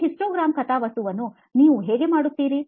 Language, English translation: Kannada, How do you do this histogram plot